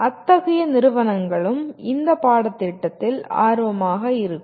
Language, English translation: Tamil, Such companies will also be interested in this course